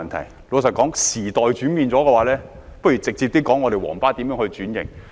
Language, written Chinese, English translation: Cantonese, 坦白說，時代轉變了，不如直接說我們的"皇巴"如何轉型。, Frankly speaking as the times have changed we might as well directly discuss how our Yellow Bus should be transformed